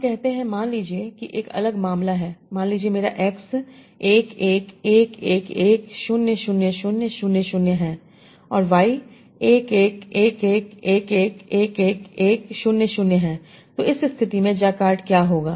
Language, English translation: Hindi, So let us say, let us take a different case suppose my x is 1 1 1 1 1 0 0 and y is 1 1 1 1 be the jacard